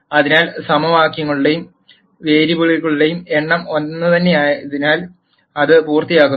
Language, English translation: Malayalam, So, that finishes the case where the number of equations and variables are the same